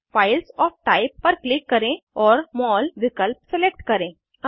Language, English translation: Hindi, Click on Files of Type and select MOL option